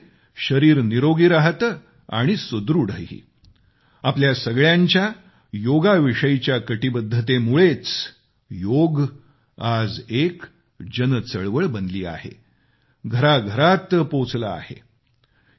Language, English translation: Marathi, It is the result of our concerted efforts and commitment that Yoga has now become a mass movement and reached every house